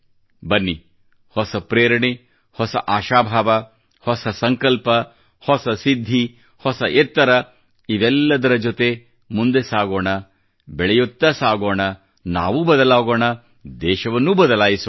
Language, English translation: Kannada, Come, imbued with renewed inspiration, renewed zeal, renewed resolution, new accomplishments, loftier goals let's move on, keep moving, change oneself and change the country too